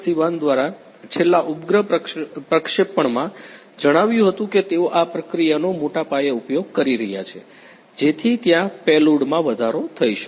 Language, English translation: Gujarati, Sivan told in the last you know satellite launching, that they are going to use this process to a large extent so that there is increase in the payload